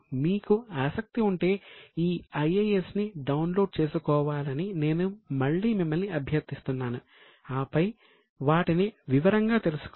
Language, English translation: Telugu, Again I would request you to download these IAS if you have interest and then go through them in detail